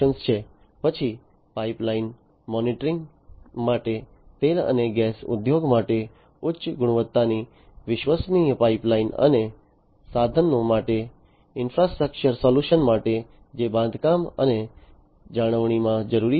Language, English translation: Gujarati, Then for pipeline monitoring high, high quality reliable pipeline for oil and gas industry and for infrastructure solutions for equipment, which are required in construction and maintenance